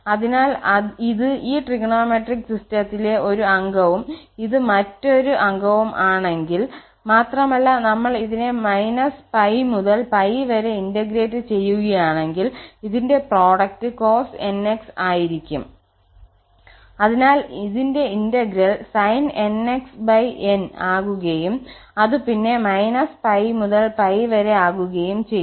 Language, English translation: Malayalam, So, this is one member and this is the another member of the of this trigonometric system and if we integrate from minus pi to pi, so it is just the product is cos nx so the integral will be sin nx over n and then minus pi to pi